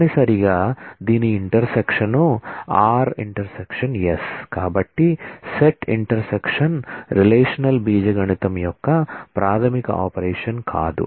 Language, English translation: Telugu, So, set intersection is not a fundamental operation of relational algebra